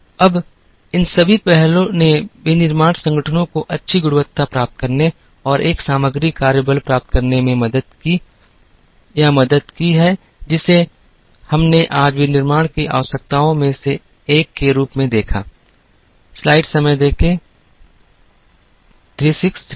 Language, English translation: Hindi, Now, all these initiatives help or helped the manufacturing organizations to achieve good quality and to have a content work force, which we saw as one of the requirements of manufacturing today